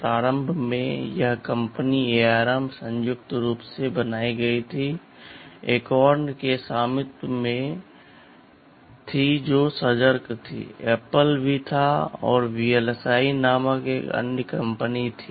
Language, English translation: Hindi, IAnd initially this company ARM was jointly formed and owned by this accountAcorn which was the initiator, Apple was also there and there was another company called VLSI